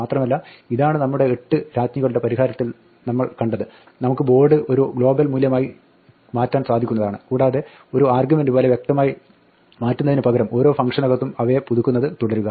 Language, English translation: Malayalam, And this we saw in our 8 queens solution, we can make the board into a global value and just keep updating it within each function rather than passing it around explicitly as an argument